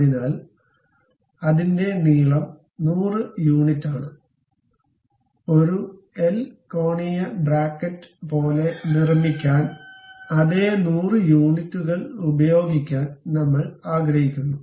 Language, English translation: Malayalam, So, because it is 100 unit in length; so I would like to use same 100 units to make it like a L angular bracket